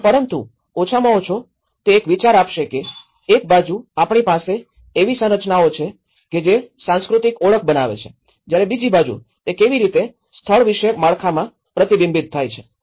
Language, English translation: Gujarati, But at least it will get an idea of how, on one side we have the structures that create the cultural identity, on the other side, we have how it is reflected in the spatial structures